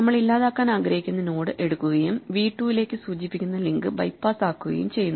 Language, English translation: Malayalam, So, we take the node that we want to delete and we just make the link that points to v 2 bypass it